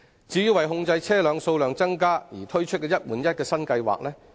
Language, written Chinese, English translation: Cantonese, 政府為控制車輛數量，推出了"一換一"新計劃。, To contain the number of vehicles the Government has launched a one - for - one replacement scheme